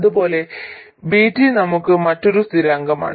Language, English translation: Malayalam, And similarly VT is another constant for us